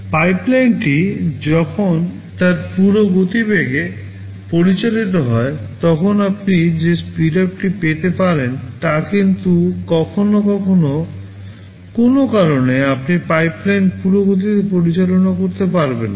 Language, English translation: Bengali, It is the speedup you can get when the pipeline is operating in its full speed, but sometimes due to some reason, you cannot operate the pipeline at full speed